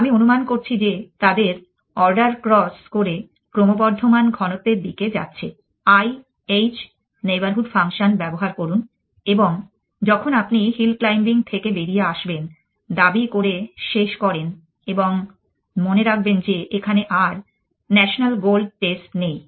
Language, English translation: Bengali, I am assuming that their order crossing to increasing density use the i h neighborhood function and when you terminate when you come out of hill claiming remember there we no longer have the notional gold test